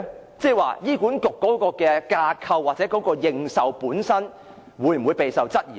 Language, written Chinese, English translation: Cantonese, 意思是，醫管局的架構或認受性會否備受質疑呢？, That is to say will HAs framework and legitimacy come under challenge?